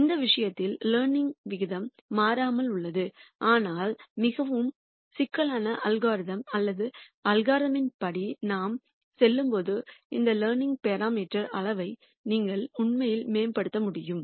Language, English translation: Tamil, And in this case the learning rate remains constant, but in more sophisticated algorithms or algorithms where you could actually optimize the size of this learning parameter as we go along in the algorithm